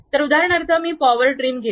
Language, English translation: Marathi, So, for example, let me pick power trim